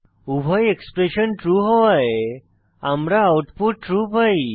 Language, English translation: Bengali, Since both the expressions are true, we get output as true